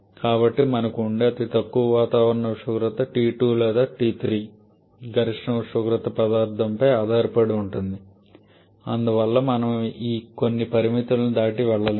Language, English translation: Telugu, So, the lowest we can have is the atmospheric temperature the T 2 or T 3 rather the maximum temperature the difference of a material consideration and therefore we cannot go beyond certain limits